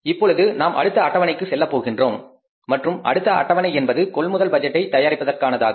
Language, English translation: Tamil, Now we will go for the next schedule and that is the schedule is disbursement of purchases